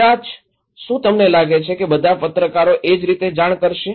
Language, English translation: Gujarati, Maybe, do you think that all journalists will report the same way